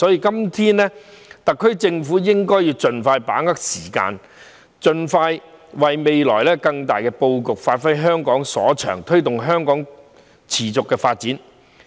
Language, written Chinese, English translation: Cantonese, 因此，特區政府應該盡快把握時間，盡快為未來作更大的布局，發揮香港所長，推動香港持續發展。, The SAR Government should expeditiously seize every minute to plan holistically for the future so that Hong Kong can give full play to its strengths and develop sustainably